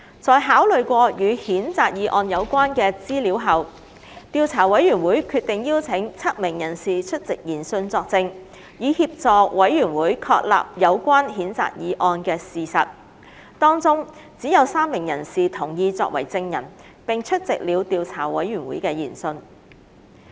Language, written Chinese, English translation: Cantonese, 在考慮過與譴責議案有關的資料後，調査委員會決定邀請7名人士出席研訊作證，以協助委員會確立有關譴責議案的事實，當中只有3名人士同意作為證人並出席了調查委員會的研訊。, After considering the information in relation to the censure motion the Investigation Committee decided to invite seven persons to attend its hearings to give evidence to assist it in establishing the facts in relation to the censure motion . Among them only three persons agreed to be witnesses and did attend the Investigation Committees hearings